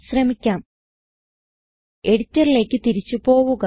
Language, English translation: Malayalam, Let me go back to the editor